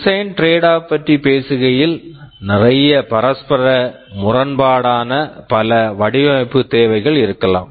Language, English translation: Tamil, Talking about design tradeoffs, there can be several design requirements that are mutually conflicting